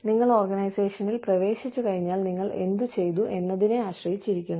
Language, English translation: Malayalam, It is dependent on, what you did, once you entered the organization